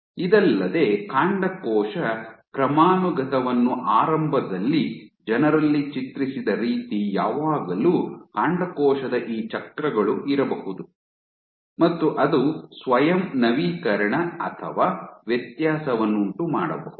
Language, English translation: Kannada, In addition, the way the stem cell hierarchy was initially imaged in people would always think that from this stem cell you give rise you have these cycles, this guy can self renew or differentiate